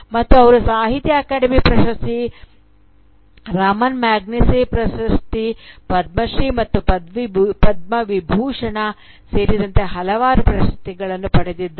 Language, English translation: Kannada, And she has been the recipient of numerous awards, including the Sahitya Akademi Award, the Ramon Magsaysay Award, Padma Shri, and Padma Vibhushan